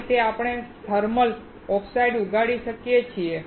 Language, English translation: Gujarati, This is how we can grow the thermal oxide